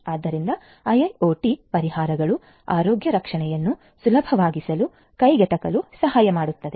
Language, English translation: Kannada, So, IIoT solutions can help in making healthcare easier, affordable and so on